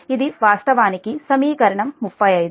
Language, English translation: Telugu, this is equation thirty one